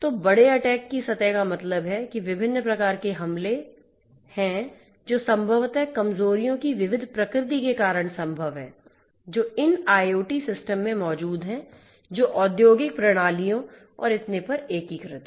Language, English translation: Hindi, So, that means, that large attack surface means that there are so many different types of attacks that are possible because of the diverse nature of vulnerabilities that exist in these IoT systems integrated with the industrial systems and so on